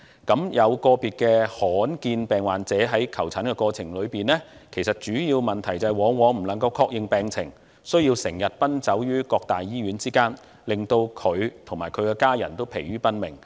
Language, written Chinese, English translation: Cantonese, 個別罕見疾病患者在求診過程中，主要問題往往是未能確認病情，需要時常奔走於各大醫院之間，令病人及其家人疲於奔命。, When individual rare disease patients are seeking medical treatment the major difficulty they usually encounter is that the diagnosis cannot be confirmed . They thus need to visit various major hospitals and both patients and their family members will be driven to exhaustion